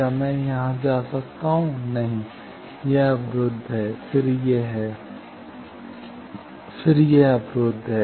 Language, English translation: Hindi, Can I go here, no this is blocked, then this is, then it is blocked